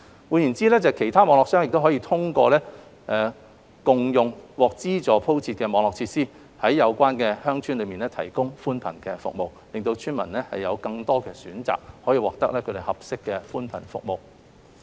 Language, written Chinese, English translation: Cantonese, 換言之，其他固網商可通過共用獲資助鋪設的網絡設施，在有關鄉村提供寬頻服務，令村民有更多選擇，獲得合適的寬頻服務。, In other words other FNOs can share the use of the subsidized network facilities and provide broadband services to the villages concerned thereby providing villagers with more choices of suitable broadband services